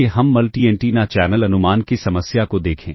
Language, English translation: Hindi, Let us look at the problem of multi antenna channel estimation [vocalized noise]